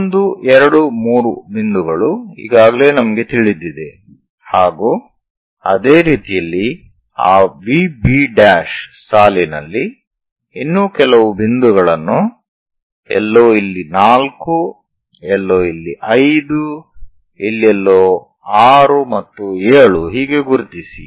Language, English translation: Kannada, So 1, 2, 3 points already we know similarly locate some other points on that V B prime line somewhere here 4 somewhere here 5 somewhere here 6 and 7, so these are arbitrary points